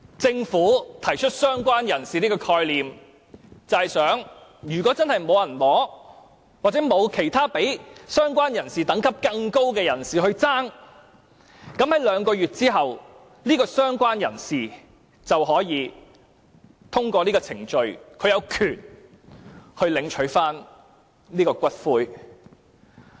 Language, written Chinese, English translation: Cantonese, 政府提出"相關人士"的概念，其意思是如果真的沒有人領取骨灰，或沒有較"相關人士"等級更高的人士爭奪骨灰，在兩個月後，這位"相關人士"便可以通過程序，有權領取骨灰。, The concept of related person proposed by the Government means that if no one claims the ashes or no one having a priority over the related person makes a competing claim for the ashes this related person will be entitled to collecting the ashes in accordance with the procedure two months later